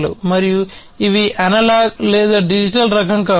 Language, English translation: Telugu, And these could be of analog or, digital types